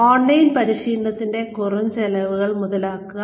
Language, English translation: Malayalam, Capitalize on reduced costs of online training